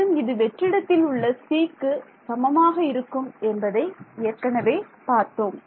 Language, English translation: Tamil, And I know that this is going to be equal to c in vacuum we know this already